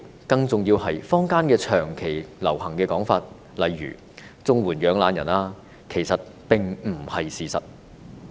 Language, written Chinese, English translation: Cantonese, 更重要的是，坊間長期流行一些說法，例如"綜援養懶人"等，其實並不是事實。, More importantly in the community there have been some long - established views such as the labelling of CSSA recipients as lazybones which are actually far from true